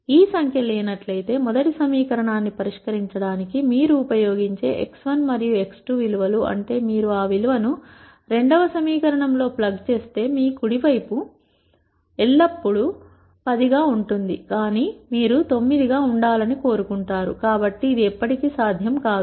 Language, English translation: Telugu, If this number is not there that basically means whatever x 1 and x 2 values that you use for solving the first equation, If you plug that value into the second equation, your right hand side will always be 10, but you want it to be 9; so which is never possible